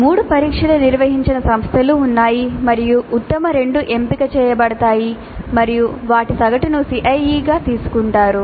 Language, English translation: Telugu, There are institutes where three tests are conducted and the best two are selected and their average is taken as the CIE